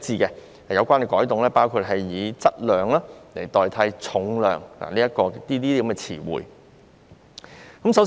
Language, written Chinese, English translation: Cantonese, 有關改動包括以"質量"代替"重量"等詞彙。, The relevant changes include the replacement of the term weight with mass